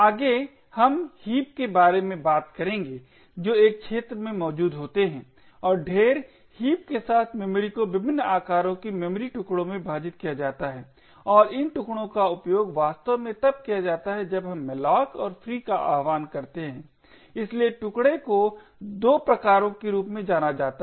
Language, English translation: Hindi, Next we will talk about heaps which are present in an arena the memory with in a heap is split into memory chunks of different sizes and these chunks are actually used when we invoke malloc and free, so the chunks are of 2 types one is known as allocated chunks and the other one is known as the free chunks